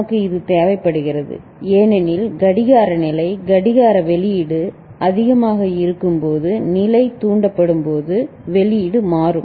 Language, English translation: Tamil, We require it because when it is level triggered during when the clock level, the clock output is high, the output can change